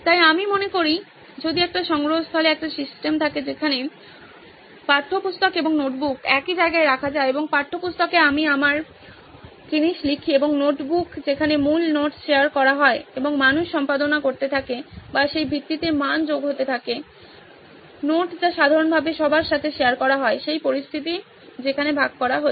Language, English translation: Bengali, So I think if a repository has a system where textbook and notebook can be put in at the same place, and on the textbook I write my thing and notebook is where the base note is shared and people keep editing or keep adding value to that base note which is shared commonly to everyone, is the situation where the sharing is happening